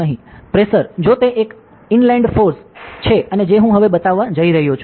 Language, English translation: Gujarati, So, the pressure if, it an inland force like and what I am going to show now